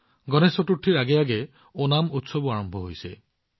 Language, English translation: Assamese, The festival of Onam is also commencing before Ganesh Chaturthi